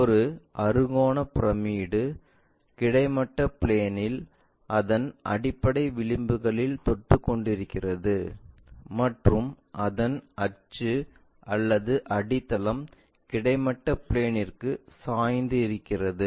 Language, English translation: Tamil, A hexagonal pyramid when it lies on horizontal plane on one of its base edges with its axis or the base inclined to horizontal plane